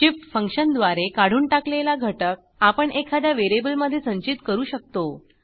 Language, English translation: Marathi, We can collect the element removed by shift function into some variable